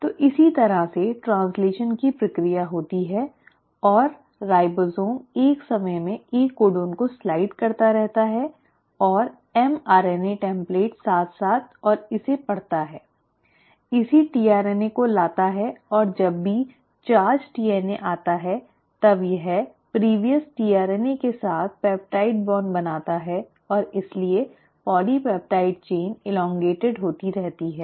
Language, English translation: Hindi, So this is how the process of translation happens and the ribosome keeps sliding one codon at a time and along the mRNA template and reads it, brings in the corresponding tRNA and every time the charged tRNA comes, it then forms of peptide bond with the previous tRNA and hence the polypeptide chain keeps on getting elongated